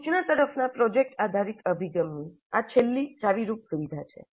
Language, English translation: Gujarati, This is the last key feature of the project based approach to instruction